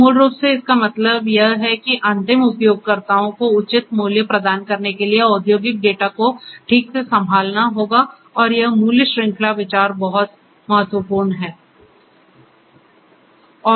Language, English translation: Hindi, So, you know basically what it means is that the data industrial data will have to be handled properly in order to deliver value to the end users properly and this value chain is very value chain consideration is very important